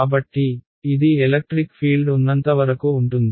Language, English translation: Telugu, So, that is as far as the electric field goes